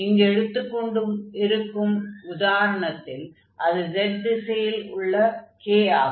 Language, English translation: Tamil, So, in this case this p for example, is going to be just the k in the direction of z axis